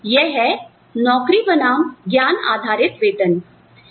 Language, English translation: Hindi, So, that is, the job versus or knowledge based pay